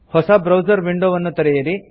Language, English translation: Kannada, Open a new browser window